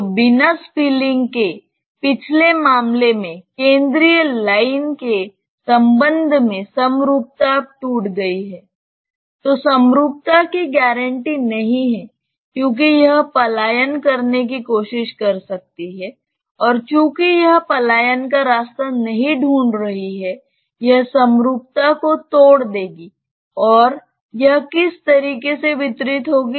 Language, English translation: Hindi, So, the symmetry with respect to the central line which was there for the previous case without spilling is now broken, that symmetry is not guaranteed because it may try to escape and since it is not finding an escape route, it will break the symmetry and get distributed in what way